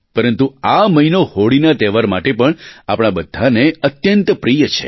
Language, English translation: Gujarati, But this month is also very special to all of us because of the festival of Holi